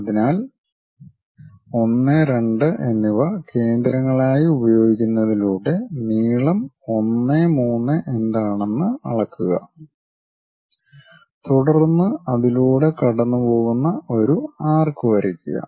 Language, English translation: Malayalam, So, using those 1 and 2 as centers measure what is the length 1 3, then draw an arc all the way passing through there